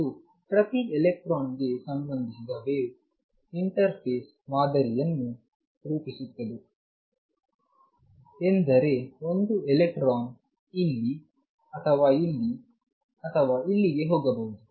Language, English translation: Kannada, And it is the wave associated with each electron that form a interface pattern is just that one electron can go either here or here or here or here